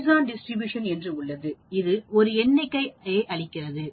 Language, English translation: Tamil, Then we also have something called Poisson distribution, this is again giving a count